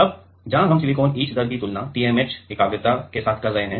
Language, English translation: Hindi, Now, where we are comparing silicon etch rate with TMAH concentration right